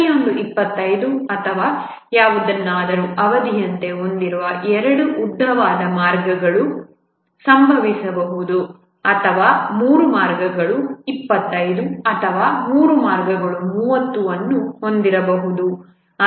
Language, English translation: Kannada, It can so happen that two of the longest paths each have 25 or something as their duration or maybe three paths have 25 or three paths may have 30